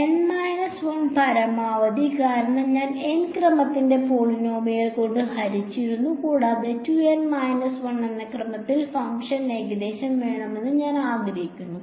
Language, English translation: Malayalam, N minus 1 at most because I have divided by polynomial of order N and I want the function approximation to order 2 N minus 1